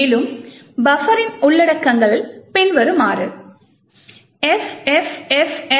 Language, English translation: Tamil, And, the contents of buffer is as follows, FFFFCF08